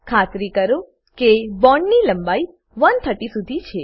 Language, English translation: Gujarati, Ensure that bond length is around 130